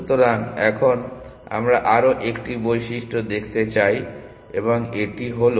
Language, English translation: Bengali, So, now we want to look at 1 more property and this is as for